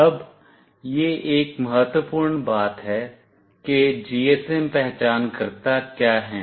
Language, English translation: Hindi, Now, this is an important thing what are the GSM identifiers